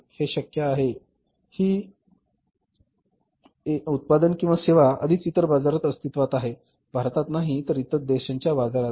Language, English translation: Marathi, It may be possible that the product of services already existing in the other markets not in India but in the other countries market